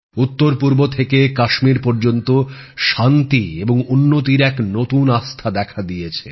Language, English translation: Bengali, A new confidence of peace and development has arisen from the northeast to Kashmir